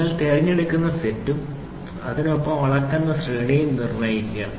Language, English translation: Malayalam, Determine the set you will select and the range of the dimension set with the selected set